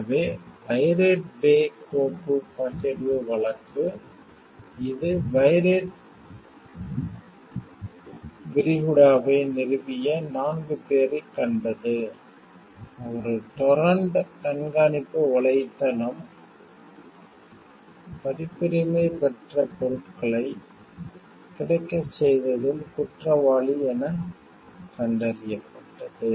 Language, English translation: Tamil, So, the pirate bay file sharing case, it is a which saw four men who founded the pirate bay, a torrent tracking website found guilty of assisting making available copyrighted material